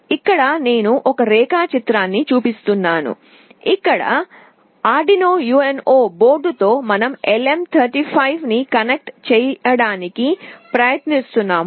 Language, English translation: Telugu, Here I am showing a diagram where with an Arduino UNO board we are trying to connect a LM35